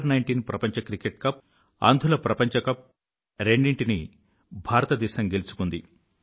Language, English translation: Telugu, India scripted a thumping win in the under 19 Cricket World Cup and the Blind Cricket World Cup